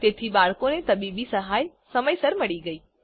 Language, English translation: Gujarati, So the boy got the medical aid in time